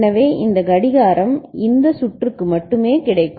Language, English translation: Tamil, So, this clock will be available only for this circuit ok